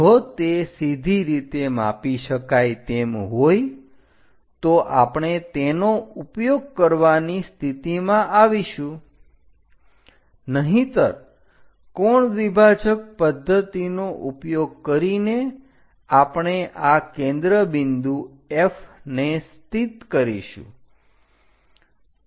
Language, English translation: Gujarati, If it is straight away measurable, we will be in a position to use that; otherwise angle bisector method we will use it to locate this focal point F